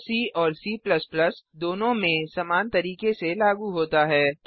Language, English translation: Hindi, It is implemented the same way in both C and C++